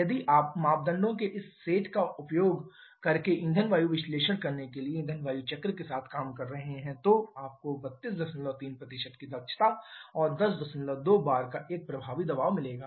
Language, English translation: Hindi, If you are dealing with a fire cycle perform a fuel air analysis using this set of parameters then you would have got an efficiency of 32